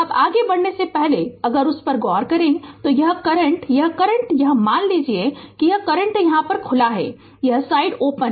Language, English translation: Hindi, Now before moving further if you look into that this current, this current right this suppose this current this is open this side is open